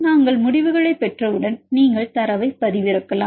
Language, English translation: Tamil, Once we get the results then you can download the data